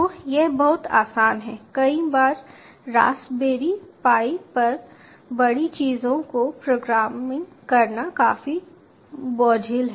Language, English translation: Hindi, many a times, ah, programming bigger things on raspberry pi is quite cumbersome